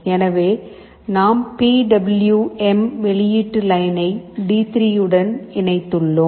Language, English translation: Tamil, So, that we have connected to the PWM output line D3